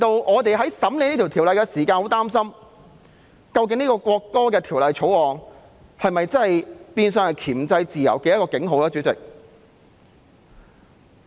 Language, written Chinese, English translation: Cantonese, 我們在審議《條例草案》時感到相當擔心，《條例草案》究竟會否變成箝制自由的警號呢？, In scrutinizing the Bill we are worried that it will become a warning for the suppression of freedom